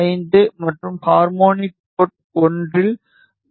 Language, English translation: Tamil, 5 at port 2 and harmonic is 4